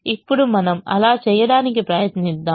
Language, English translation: Telugu, now we try to do that